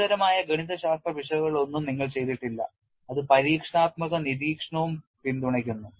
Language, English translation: Malayalam, You are not done any serious mathematical error which is also supported by experimental observation